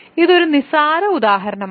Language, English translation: Malayalam, So, this is just an example